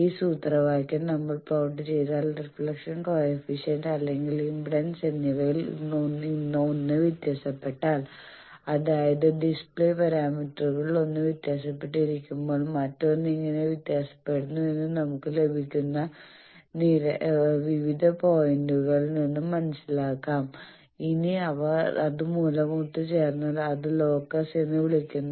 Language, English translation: Malayalam, Now this formula if we plot that and now one of this either reflection coefficient or impedance if we vary how other is varying that displays when one of the parameters of any display is varied we get various points, so if they are joined by that that is called Locus